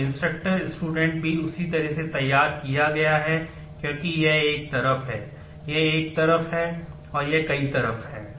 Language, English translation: Hindi, So, student instructor also drawn in the same way, because this is this is the one side, this is the one side and this is the many side